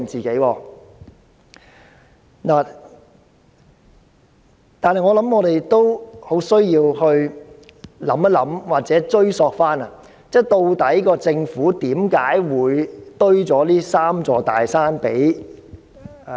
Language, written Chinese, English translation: Cantonese, 不過，我們也要思考或追索，政府為何會為香港人堆了這"三座大山"？, Yet we have to think about or track why the Government would have heaped up these three big mountains for the people of Hong Kong?